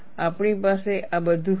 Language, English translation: Gujarati, We will have all this